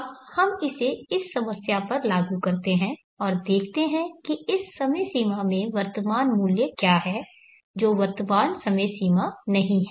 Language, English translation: Hindi, Now let us apply this to this problem and see what is the present words at this time frame which is not the present time frame